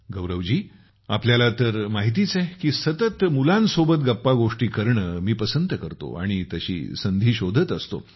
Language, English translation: Marathi, Gaurav ji, you know, I also like to interact with children constantly and I keep looking for opportunities